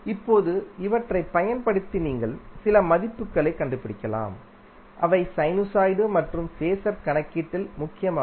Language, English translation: Tamil, Now using these you can find out few values which are imported in our sinusoid as well as phaser calculation